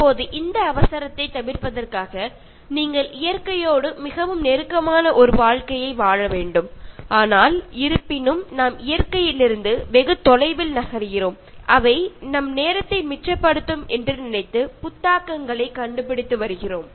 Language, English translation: Tamil, Now in order to avoid this hurry, you need to live a life that is very close to nature, but however we are moving far away from nature and we are inventing things thinking that they will save our time